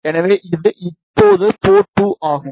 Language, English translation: Tamil, So, this is now port 2